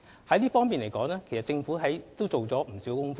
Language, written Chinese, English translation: Cantonese, 就這方面來說，政府已做了不少工夫。, A lot of work has been done by the Government in this regard